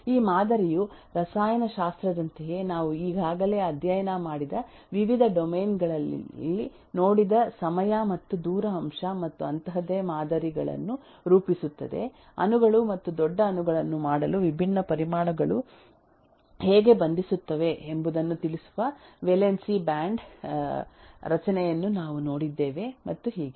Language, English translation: Kannada, Because this model just models a \time and distance aspect and similar eh similar eh models we have seen in variety of eh domains that we have already studied like in chemistry we have seen valence bond structure which tell us eh eh how the different eh atoms bind to make molecules and bigger molecules and so on